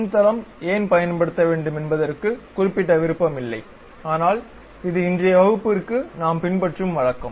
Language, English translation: Tamil, There is no particular preference why front plane we have to use ah, but this is a custom what we are following for today's class